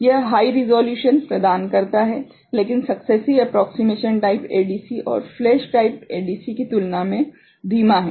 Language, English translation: Hindi, It provides higher resolution, but slower compared to successive approximation type and flash type ADC